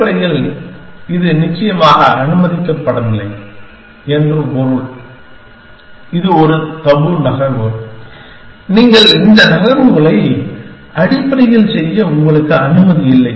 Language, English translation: Tamil, And basically, it means disallowed essentially, it is a taboo move that you, you are not allowed to make that moves essentially